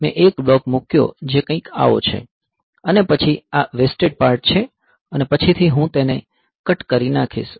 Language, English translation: Gujarati, So, I put a block which is something like this, and then this is the wasted part and later on I will cut it off